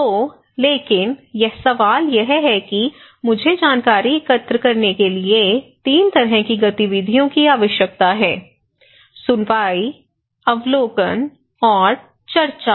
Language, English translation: Hindi, So, but the question is; I need 3 kind of things, activities to be involved to collect information; one is hearing, observation and discussions